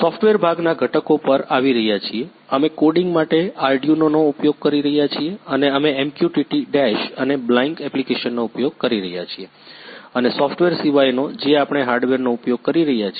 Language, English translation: Gujarati, Coming to the components parts in the software part, we are using Arduino for coding and we are using MQTT Dash and Blynk apps and other than software we are using hardware